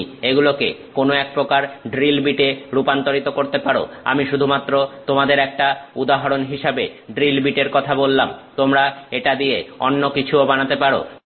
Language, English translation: Bengali, You want to convert this into some kind of a drill bit, I am just giving you an example of a drill bit, you can make something else out of it